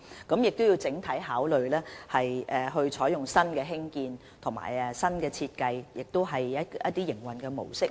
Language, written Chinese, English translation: Cantonese, 我們須從整體考慮，採用新的興建方法、新的設計，也希望改善營運模式。, We must consider the issue comprehensively so as to adopt new construction approaches and new design and we wish to enhance the modus operandi